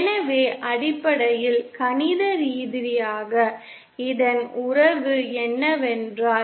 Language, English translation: Tamil, So in terms, mathematically what this means is this relation